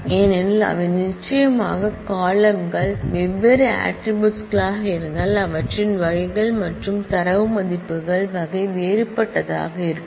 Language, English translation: Tamil, They because certainly if the columns are different attributes are different their types and type of data values would be different